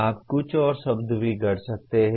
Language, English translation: Hindi, You can also coin some more words